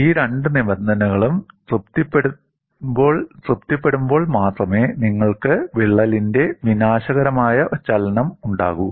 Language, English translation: Malayalam, Only when these two conditions are satisfied, you will have catastrophic movement of crack